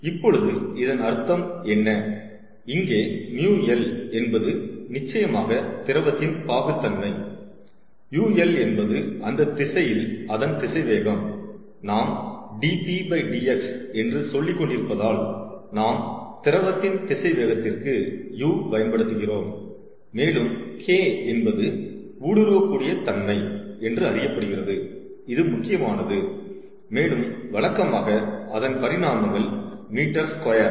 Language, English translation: Tamil, where mu l is, of course, a viscosity of liquid, u l is velocity in that direction, since we, as saying dp dx, we have used u, velocity of liquid and k this is important is known as permeability, ok, and typically its dimensions is meter squared ok